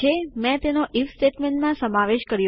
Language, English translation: Gujarati, Ive incorporated it into an IF statement